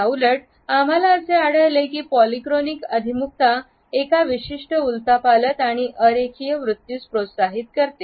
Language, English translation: Marathi, In contrast we find that polychronic orientation encourages a certain flux and non linearity